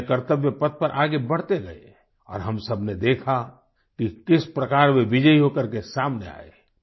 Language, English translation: Hindi, They marched forward on their path of duty and we all witnessed how they came out victorious